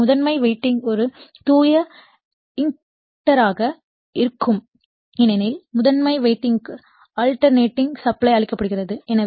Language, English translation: Tamil, So, primary winding then will be a pure inductor because we are giving alternating supply to the primary winding